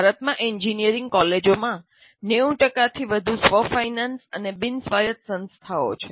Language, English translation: Gujarati, And more than 90% of engineering colleges in India are self financing and non autonomous institutions